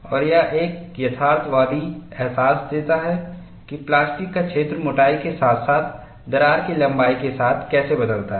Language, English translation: Hindi, And this gives a realistic feeling, how the plastic zone varies over the thickness, as well as along the crack length